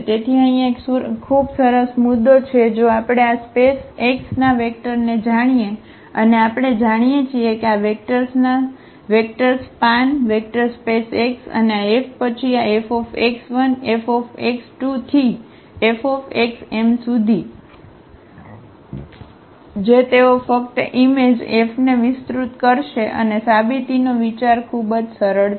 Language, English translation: Gujarati, So, that is a very nice point here if we know the vectors from this space x and we know that these vectors span the vector space x and we know the mapping here F then this F x 1 F x 2 F x m they will just span the image F and the idea of the proof is very simple